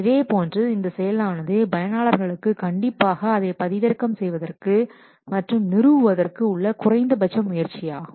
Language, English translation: Tamil, Similarly, for the users, this process should involve minimal effort for downloading it and installing it